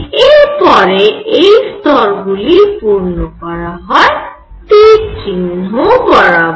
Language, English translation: Bengali, And then you fill them according to this arrow